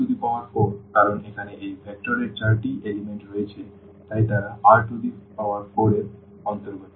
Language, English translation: Bengali, So, R 4 because there are four components here of this vector so, they are they belongs to R 4